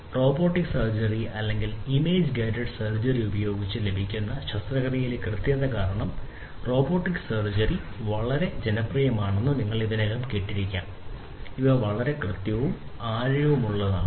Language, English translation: Malayalam, So, robotic surgery, you know, already probably you must have heard that robotic surgery is very popular because of the precision, precision in surgery that can be obtained using robotic surgery or image guided surgery, these are very precise and know